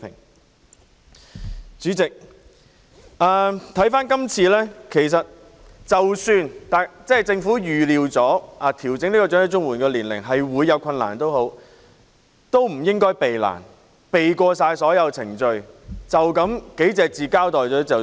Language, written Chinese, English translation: Cantonese, 代理主席，即使政府今次已預料調整申領長者綜援的年齡會有困難，亦不應逃避困難，避過所有程序，只以寥寥數語交代便了事。, Deputy President even if the Government has foreseen that difficulties would be encountered in adjusting the eligibility age for elderly CSSA this time it should not evade such difficulties circumvent all of the procedures and explain it with merely a few words